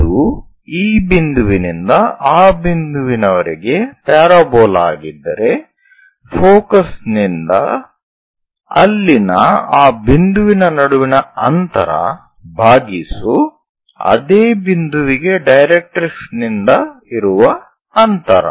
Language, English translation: Kannada, If it is a parabola from this point to that point distance of that point from there to focus by distance from directrix for that point